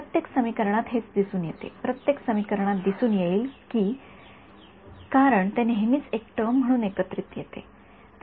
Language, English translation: Marathi, This is what appears in every equation, will appear in every equation because it always comes as one term together